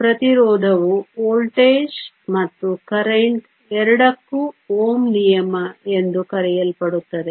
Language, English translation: Kannada, Resistance is related to both the voltage and the current by what is known as OhmÕs law